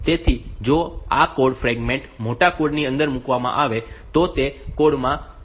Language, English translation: Gujarati, So, if this code fragment is put inside a bigger code, then it will introduce some delay in that code